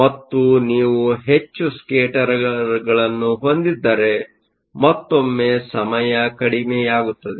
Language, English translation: Kannada, And if you have more number of scatterers, once again the time will be short